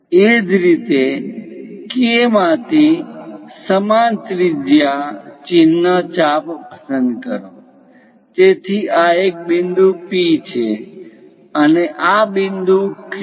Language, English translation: Gujarati, Similarly, from K, pick the same radius mark arc, so this one is point P, and this point Q